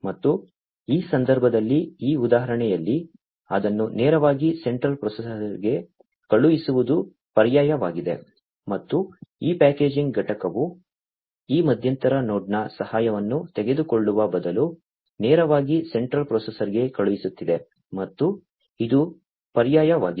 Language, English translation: Kannada, And in this case, in this example the alternative was to send it directly to the central processor, and this is what this packaging unit is doing sending it directly to the central processor instead of taking help of this intermediate node and that is also an alternative right